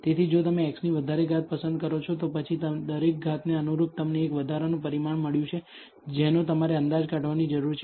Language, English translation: Gujarati, So, if you choose higher powers of x, then corresponding to each power you got a extra parameter that you need to estimate